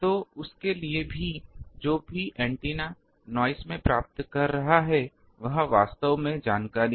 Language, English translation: Hindi, So, for that whatever antenna is receiving in the noise that is actually information